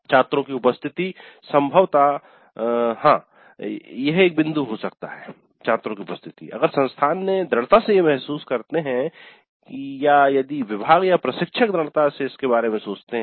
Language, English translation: Hindi, But attendance probably yes if the institute strongly feels or if the department or the instructor strongly feel about it